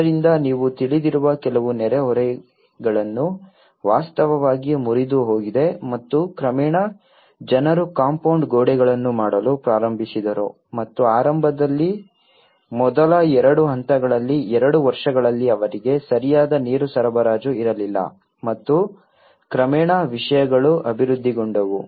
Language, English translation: Kannada, So that has actually broken certain neighbourhood you know linkages and gradually people started in making the compound walls and initially in the first two stages, two years they were not having proper water supply and gradually things have developed